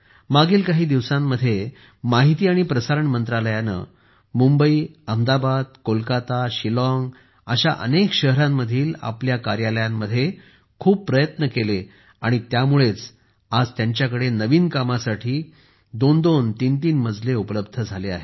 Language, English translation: Marathi, In the past, even the Ministry of Information and Broadcasting also made a lot of effort in its offices in Mumbai, Ahmedabad, Kolkata, Shillong in many cities and because of that, today they have two, three floors, available completely in usage anew